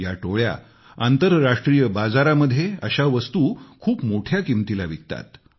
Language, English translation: Marathi, These gangs sell them at a very high price in the international market